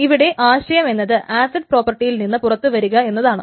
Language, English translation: Malayalam, So essentially the idea is to get out of acid properties